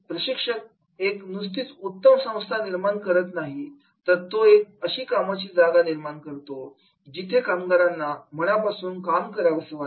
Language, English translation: Marathi, A trainer, he is not only creating a good workplace but he is creating such a workplace where people want to work